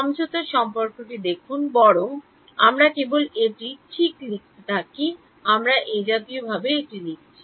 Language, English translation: Bengali, Look at the convolution relation, rather we are just writing it like this right we have been writing it like this